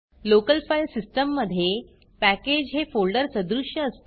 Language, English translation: Marathi, On your local file system, a package corresponds with a folder